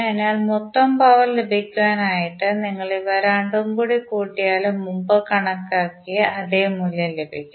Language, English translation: Malayalam, So, therefore the total power you have to just add both of them and you will get the same value as we calculated previously